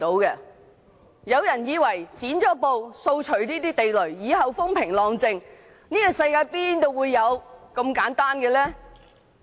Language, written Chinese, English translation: Cantonese, 有人以為"剪布"掃除地雷後，以後便會風平浪靜，但這世界哪有如此簡單的事？, Some hold the view that after cutting off filibustering and clearing of landmines everything will go smoothly in the future . But how can peaceful days come so easily?